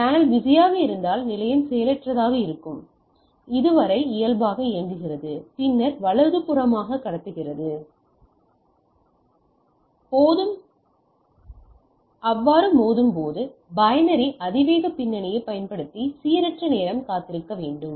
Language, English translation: Tamil, If the channel is busy station defaults until idle and then transmits right, upon collision wait a random time using binary exponential back off